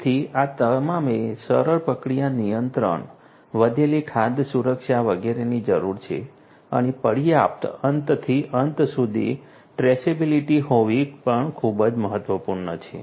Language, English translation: Gujarati, So, you need easier process control, increased food safety, etcetera and it is also very important to have adequate end to end traceability